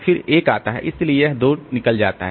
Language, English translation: Hindi, So, this 2 goes out